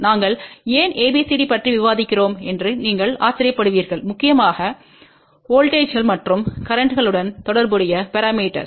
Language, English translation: Tamil, Then you might wander then why we are discussing about ABCD parameters which are mainly concerned with voltages and currents